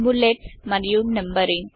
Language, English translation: Telugu, Bullets and Numbering